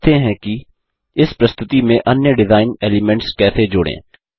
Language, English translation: Hindi, Lets now learn how to add other design elements to this presentation